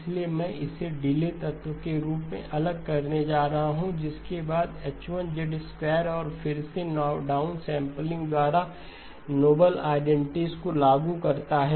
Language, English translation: Hindi, So I am going to separate it out as a delay element followed by H1 of Z squared by down sampling again apply the noble identity